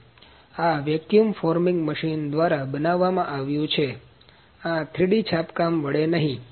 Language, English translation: Gujarati, So, this is manufactured using vacuum forming machine; this is not with 3D printing